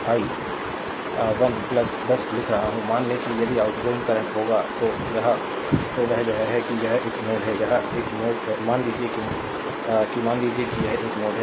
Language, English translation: Hindi, I am writing i 1 plus 10, suppose if outgoing current will that that is from this is a node, this is a node, right